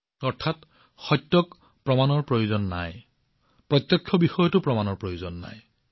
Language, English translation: Assamese, That is, truth does not require proof, what is evident also does not require proof